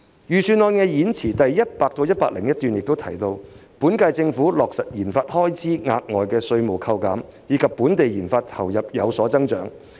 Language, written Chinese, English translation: Cantonese, 預算案演辭第100至101段提到，現屆政府已落實為研發開支提供額外稅務扣減，令本地研發投入有所增長。, As mentioned in paragraphs 100 and 101 of the Budget Speech the current - term Government has introduced enhanced tax deduction for research and development RD expenditure thereby increasing investments in local RD